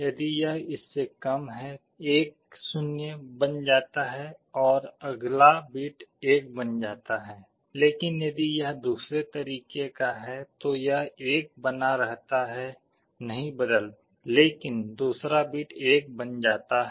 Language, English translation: Hindi, If it is less than this 1 is made 0 and the next bit is made 1, but if it is the other way round this 1 remains 1, I do not change, but the second bit only I am making 1